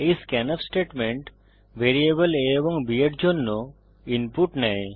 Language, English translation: Bengali, This scanf statement takes input for the variables a and b